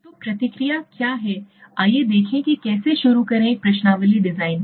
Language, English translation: Hindi, So what are the process, let s see how do start with a questionnaire design